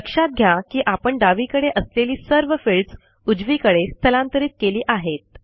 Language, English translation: Marathi, Notice that, we have moved all the fields from the left to the right